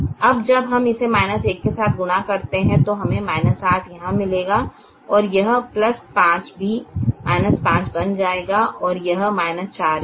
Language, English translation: Hindi, now, when we multiply this with the minus one, we would have got minus eight here and this plus five would also have become minus five, and this also has minus four